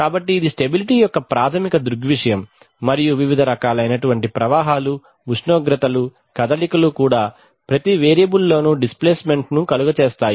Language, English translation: Telugu, So this is the basic phenomenon of stability and this phenomenon demonstrates itself in various ways in case of flows, temperatures, motion, displacements every variable right